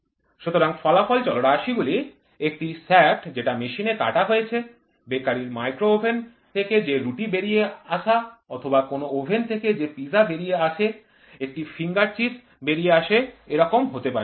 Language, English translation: Bengali, So, the output parameter, the output can be even a shaft which is machined the product which comes out of a bread which is coming out of a bakery microwave oven, pizza coming out of an oven, it can be there or a finger chips coming out